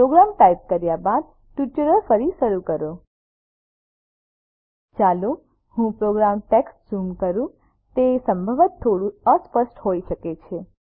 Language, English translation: Gujarati, Resume the tutorial after typing the program Let me zoom into the program text it may possibly be a little blurred